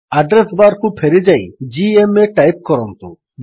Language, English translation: Odia, Lets go back to the address bar and type gma